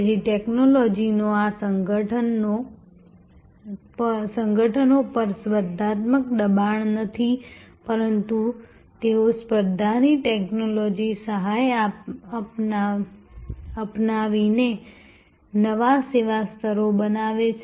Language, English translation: Gujarati, So, technology is not thrust upon these organizations competitive pressure, but they create new service levels by adopting technology aid of the competition